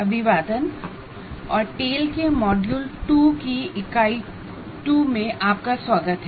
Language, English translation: Hindi, Good Greetings and welcome to Unit 2 of Module 2 of Tale